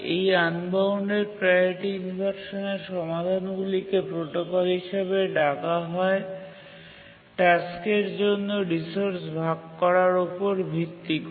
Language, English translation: Bengali, The solutions to the unbounded priority inversion are called as protocols for resource sharing among tasks